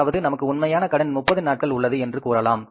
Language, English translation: Tamil, So, it means it's actual credit of 30 days which is available